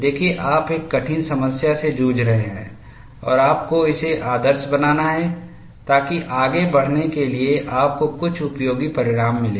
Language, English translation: Hindi, See, you are charting a difficult problem and you have to idealize it, so that you get some useful result for you to proceed further